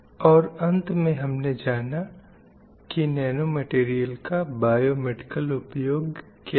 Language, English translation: Hindi, And we got a idea about how we can use these nanometals for various biomedical applications